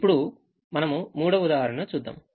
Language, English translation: Telugu, now we take a third example now